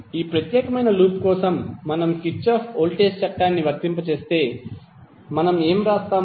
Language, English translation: Telugu, If we apply Kirchhoff voltage law for this particular loop, what we will write